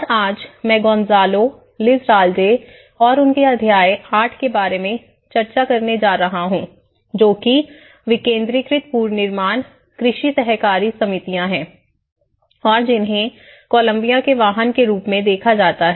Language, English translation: Hindi, And today, whatever I am going to discuss you with about the Gonzalo Lizarralde and one of his chapter in chapter 8, is called decentralizing reconstruction agriculture cooperatives as a vehicle for reconstruction in Colombia